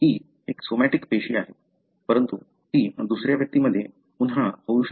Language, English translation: Marathi, It is a somatic cell, but it could happen again in another individual